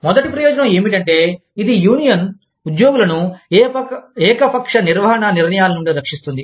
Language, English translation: Telugu, The first benefit is, that it protects, the union employees, from arbitrary management decisions